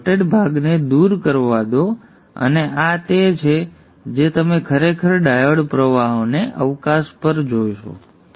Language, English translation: Gujarati, Let me remove this dotted portion and this is what you would actually see on a scope for the diode currents